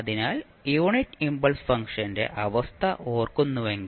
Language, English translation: Malayalam, So, you will see the unit impulse function here